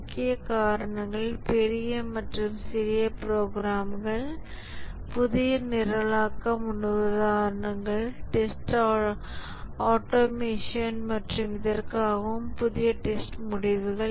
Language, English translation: Tamil, The main reasons are larger and more complex programs, newer programming paradigms, test automation and also new testing results